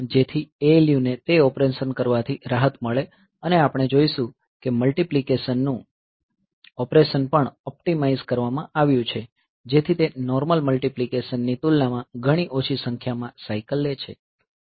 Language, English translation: Gujarati, So, that, so, that way the ALU is relieved from doing that operation and we will see that multiplication operation is has also been optimized so that the it takes much less number of cycles compared to normal multiplication